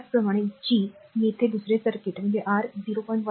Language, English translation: Marathi, Similarly, that second circuit that there G is your 0